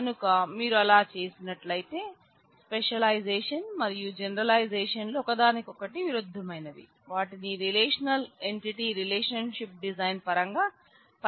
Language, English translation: Telugu, So, if you do that then there you can easily see that specialization and generalization is are inverse of each other and they are used interchangeably in terms of the relational entity relationship design